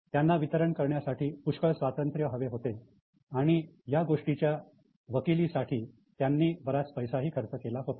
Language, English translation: Marathi, So, they wanted a lot of freedom for distribution and they had spent a lot of energy on advocacy for their costs